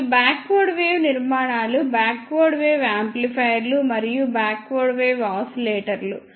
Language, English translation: Telugu, And the backward wave structures are backward wave amplifiers and backward wave oscillators